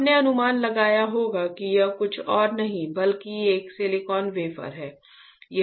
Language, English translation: Hindi, You must have guessed that this is nothing, but a silicon wafer right